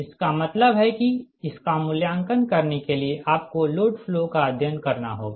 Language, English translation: Hindi, that means for this one evaluate this, you have to have a load flow studies